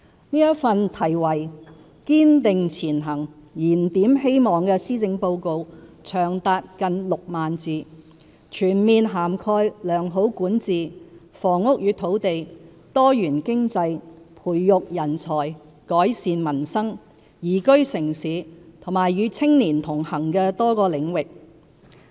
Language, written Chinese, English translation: Cantonese, 這份題為"堅定前行燃點希望"的施政報告長達近6萬字，全面涵蓋良好管治、房屋與土地、多元經濟、培育人才、改善民生、宜居城市及與青年同行的多個領域。, Titled Striving Ahead Rekindling Hope this Policy Address runs to roughly 40 000 words . It comprehensively covers such areas as good governance housing and land diversified economy nurturing talent improving peoples livelihood liveable city and connecting with young people